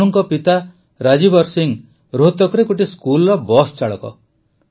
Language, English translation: Odia, Tanu's father Rajbir Singh is a school bus driver in Rohtak